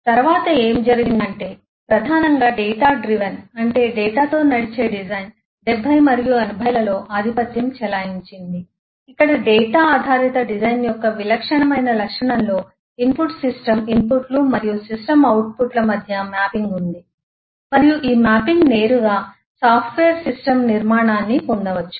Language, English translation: Telugu, Next what happened is primarily data driven design which eh um kind of dominated the 70s and the 80s where in typical characteristic of data driven design is there is a mapping between the input eh system inputs and the system outputs and this mapping can directly derive the structure of the software system